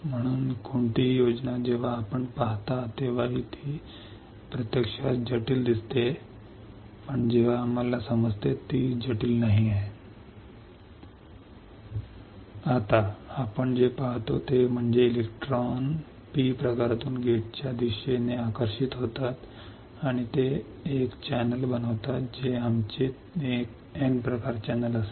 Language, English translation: Marathi, So, any schematic whenever you see even it looks complex in reality, when we understand it is not complex ok Now, what we see is electrons are attracted from P type towards the gate, and it forms a channel which will be our N type channel